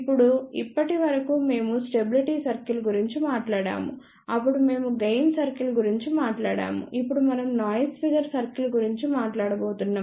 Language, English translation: Telugu, Now, till now we talked about stability circle, then we talked about gain cycle, now we are going to talk about noise figure cycle